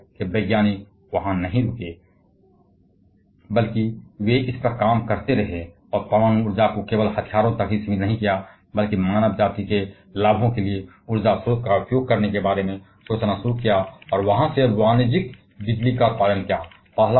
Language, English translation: Hindi, Thankfully scientist didn't stop there rather they continued working on this and didn't restrict nuclear energy only to the weapons whether started thinking about using this huge amount of energy source for the benefits of the mankind and there by producing commercial electricity from that